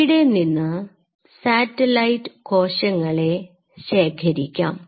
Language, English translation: Malayalam, And these satellite cells are collected